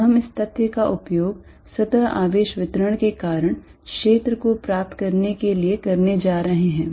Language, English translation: Hindi, Now, we are going to use this fact to derive field due to a surface charge distribution